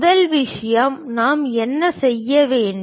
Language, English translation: Tamil, First thing, what we have to do